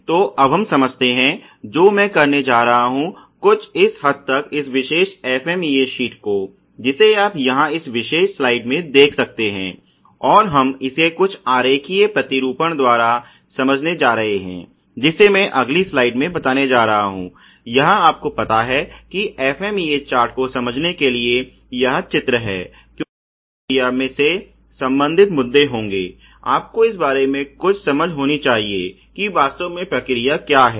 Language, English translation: Hindi, So, what I am going to do here is to sort of look at this particular FMEA sheet which you can see here in this particular slide, and we are going to understand this by some diagrammatic representation which I am going to draw in the next slide which is here diagrams to understand the FMEA chart at you know because there would be issues related to the process, you know you should have some understanding of what really the process about